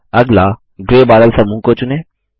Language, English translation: Hindi, Select the white cloud group